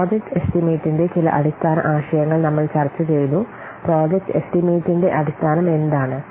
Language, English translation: Malayalam, Today we will discuss about a little bit of project planning and basics of project estimation